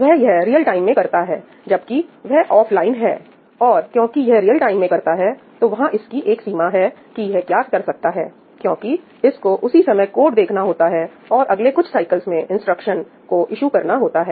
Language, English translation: Hindi, This is in real time, whereas, this is offline; and because it is doing it in real time, there is a limit to what it can do because it has to eventually, it is looking at the code and it has to issue the instruction in the next couple of cycles, right